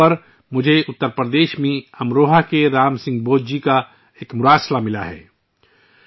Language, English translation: Urdu, On MyGov, I have received a letter from Ram Singh BaudhJi of Amroha in Uttar Pradesh